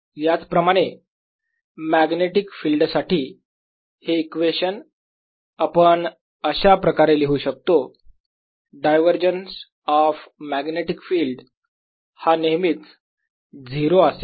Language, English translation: Marathi, similarly now we use in the context of magnetic field this equation that the divergence of magnetic field is always zero